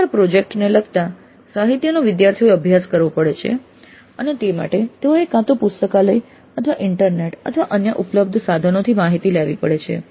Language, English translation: Gujarati, Quite often the literature related to the project has to be studied by the students and for that sake they have to either consult the library or internet or any other resources available